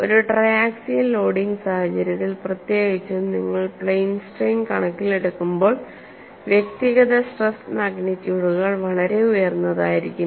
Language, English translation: Malayalam, In a triaxial loading situation particularly, when you consider plane strain situation the individual stress magnitudes can be very high